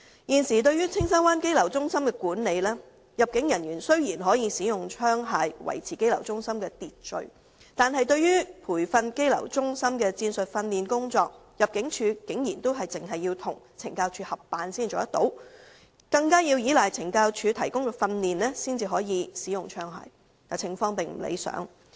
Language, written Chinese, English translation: Cantonese, 現時對於青山灣羈留中心的管理，雖然入境處人員可使用槍械以維持羈留中心的秩序，但關於羈留中心的戰術訓練工作，入境處竟然要與懲教署合辦才可提供培訓，更要依賴懲教署提供訓練才可使用槍械，情況並不理想。, Regarding the present management of the detention centre in Castle Peak Bay the immigration officers are allowed to use firearms to maintain order in the detention centre . However in respect of tactical training in the detention centre ImmD can provide such training only in collaboration with CSD . It also has to rely on CSD to provide training in the use of firearms